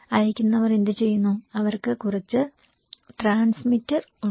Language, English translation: Malayalam, What senders they do, they have some transmitter